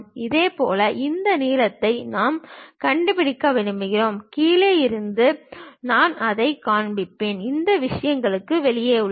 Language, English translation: Tamil, Similarly I want to really locate this length; all the way from bottom I will show that and these are outside of the things